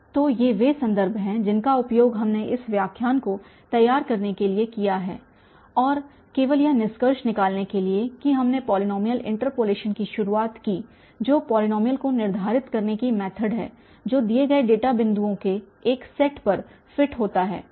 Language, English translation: Hindi, So, these are the references we have used for preparing this lecture And just to conclude that we introduced the polynomial interpolation which is the method of determining polynomial that fits a given set of data points